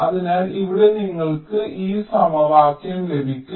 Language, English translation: Malayalam, so here you get this equation